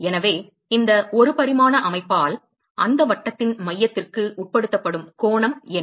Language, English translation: Tamil, So, what is the angle that is subtended by this 1 dimensional system to the center of that circle